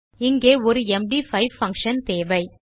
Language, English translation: Tamil, You just need have an MD5 function here